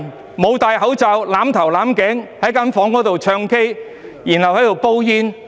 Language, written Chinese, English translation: Cantonese, 他們沒有戴口罩、"攬頭攬頸"，在房間內"唱 K"、"煲煙"。, Without wearing face masks they huddled each other sang karaoke and smoked cigarettes in a room